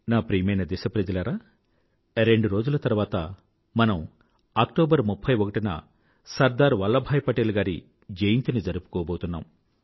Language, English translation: Telugu, My dear countrymen, we shall celebrate the birth anniversary of Sardar Vallabhbhai Patel ji, two days from now, on the 31st of October